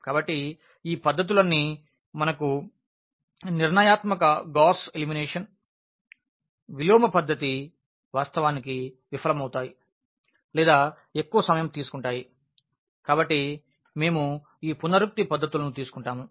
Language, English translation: Telugu, So, these all these methods which we have this method of determinant Gauss elimination, inversion method they actually fails or rather they take longer time, so, we take these iterative methods